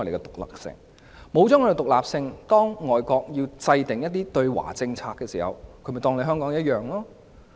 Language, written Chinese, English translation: Cantonese, 當我們失去獨立性，而外國要制訂一些對華政策時，便會同樣看待香港。, After we have lost our independence overseas countries anti - China policies will also apply to Hong Kong